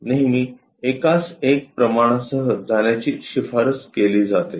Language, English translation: Marathi, And it is always recommended to go with 1 is to 1 scale